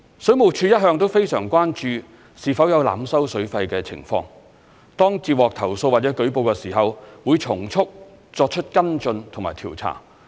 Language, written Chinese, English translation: Cantonese, 水務署一向非常關注是否有濫收水費的情況，當接獲投訴或舉報時，會從速作出跟進和調查。, Overcharging for the use of water has always been a matter of great concern to WSD . Upon receipt of a complaint or report WSD will expeditiously take follow - up actions and conduct investigations